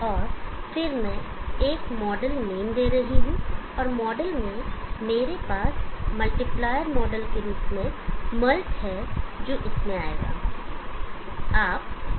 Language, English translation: Hindi, And then I am giving a model name and in the model I have the multiplier model which will come in